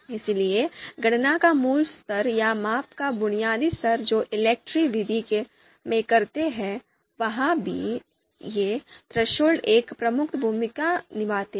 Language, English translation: Hindi, So the you know basic level of computation or basic level of measurement that we do in ELECTRE you know method, that is also, there also these these thresholds play a major role